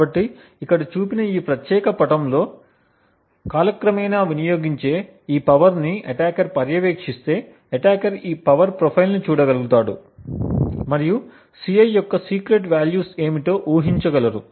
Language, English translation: Telugu, So, if attacker actually monitors this power consumed over time like this particular figure shown here, then attacker would simply be able to look at this power profile and be able to deduce what the secret values of Ci are